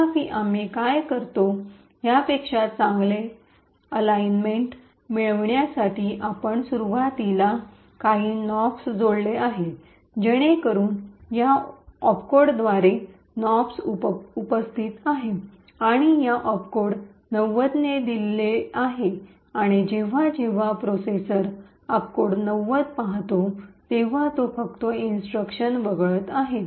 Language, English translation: Marathi, However, to get a better alignment what we do is we add some Nops initially so the Nops is present by this opcode is given by this opcode 90 and whenever the processor sees this opcode of 90 it is just going to skip the instruction to nothing in that instruction